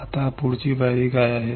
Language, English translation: Marathi, what is the next step